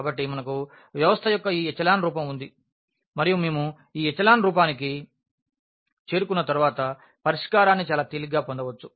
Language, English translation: Telugu, So, we have this echelon form of the system and once we reach to this echelon form we can get the solution very easily